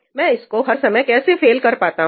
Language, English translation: Hindi, How do I make this fail every time